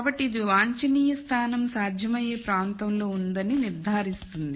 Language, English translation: Telugu, So this ensures that the optimum point is in the feasible region